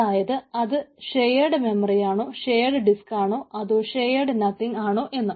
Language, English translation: Malayalam, so it is a shared memory structure, shared disk and shared nothing